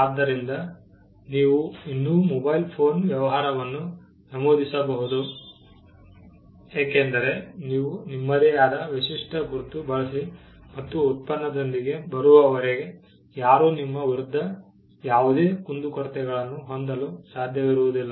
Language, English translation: Kannada, So, you can still enter the mobile phone business because, as long as you use your own unique mark and come up with a product, nobody can have any grievance against you